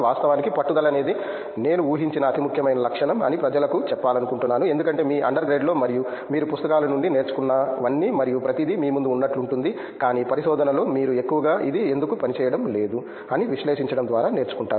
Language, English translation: Telugu, I would like to tell people that you know actually perseverance is the most important trait I guess, because like in your under grade and all you just learn from books and everything is just thrown at you, but in research I think you mostly learn by figuring out what doesn’t work